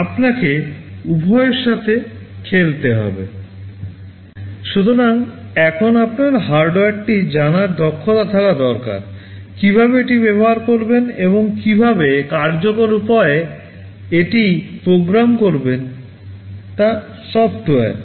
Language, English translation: Bengali, So, now you need to have the expertise of knowing the hardware, how to use it and also software how to program it in an efficient way